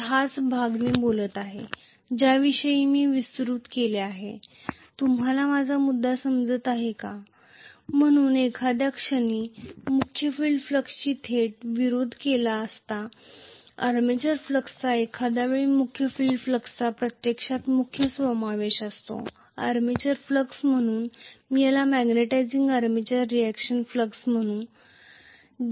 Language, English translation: Marathi, So, this is this portion that I am talking about which I have enlarged, are you getting my point, so at some point the main field flux is directly opposed by the armature flux at some point the main field flux adds up to the actually main the armature flux, so I would call this as magnetizing armature reaction flux where they are adding each other, I would call this as demagnetizing armature reaction flux